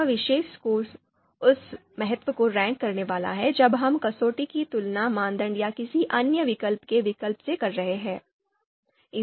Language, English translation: Hindi, So this score this particular score is going to rank that importance when we are comparing criterion to criterion or we are comparing alternative to another alternative